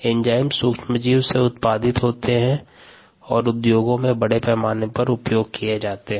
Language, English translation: Hindi, these are ah produced by microorganisms and are extensively used in the industry